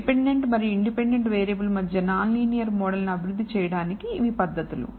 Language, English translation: Telugu, These are methods that are used to develop non linear models between the dependent and independent variable